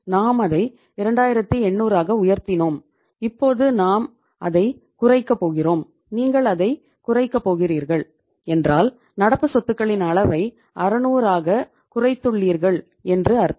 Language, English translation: Tamil, We increased it to 2800 and now we are going to decrease it and when you are going to decrease it, it means you have reduced the level of current assets by 600